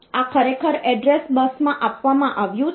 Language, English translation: Gujarati, So, that is actually given in the address bus